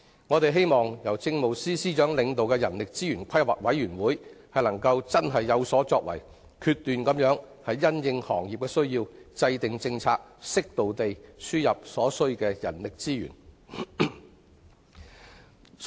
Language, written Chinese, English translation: Cantonese, 我們希望由政務司司長領導的人力資源規劃委員會能有所作為，因應行業的需要，果斷制訂政策，適度輸入所需的人力資源。, We hope that the Human Resources Planning Commission led by the Chief Secretary for Administration can make an effort by formulating decisive policies to import human resources as needed and appropriate in light of the needs of individual sectors